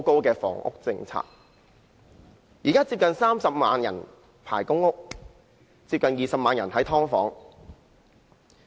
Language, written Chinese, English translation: Cantonese, 現時香港有接近30萬人輪候公屋，接近20萬人住在"劏房"。, At present there are nearly 300 000 people on the public rental housing PRH Waiting List and almost 200 000 people are living in subdivided units